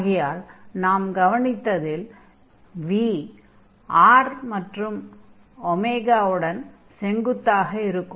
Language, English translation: Tamil, So, what we observed that this v is perpendicular to r and also perpendicular to the omega